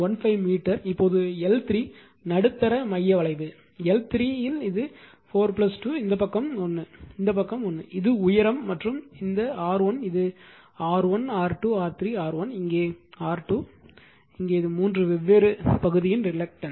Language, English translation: Tamil, 15 meter now L 3 is the middle centre limb right, L 3 it is 4 plus 2, this side is 1, this side is 1, this is the height right and this R 1 this R 1 R 2 R 3 R1, here R 2 here this is the your reluctance of the three different portion right